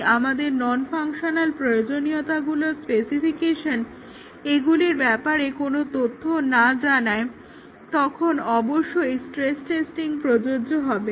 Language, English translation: Bengali, And if our non functional requirement specification does not tell anything about this then of course, the stress testing would not be applicable